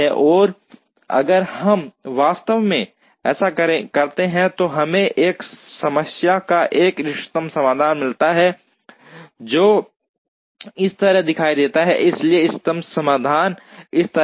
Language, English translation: Hindi, And if we actually do that, we get an optimum solution to this problem which will look like this, so the optimum solution is like this